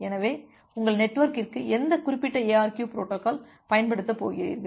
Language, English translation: Tamil, So, which particular ARQ protocol you are going to use for your network